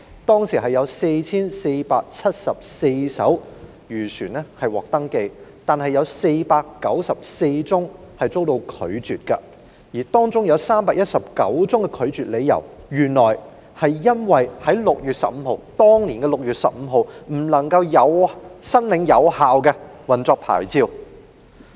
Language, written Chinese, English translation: Cantonese, 當時有 4,474 艘漁船獲登記，但有494宗申請被拒絕，而當中319宗的拒絕理由是有關船隻在2012年6月15日未領有有效的運作牌照。, At that time 4 474 fishing vessels were registered but 494 applications were rejected among which 319 were turned down on the grounds that the vessels concerned did not possess a valid operating licence on 15 June 2012 . I would like to raise the following question